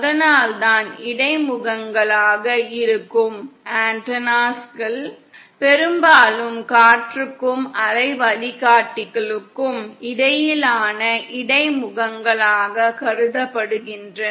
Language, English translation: Tamil, ThatÕs why antennas which are interface, often considered as interface between air and waveguide